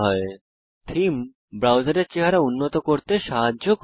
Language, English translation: Bengali, So you see, Themes help to improve the look and feel of the browser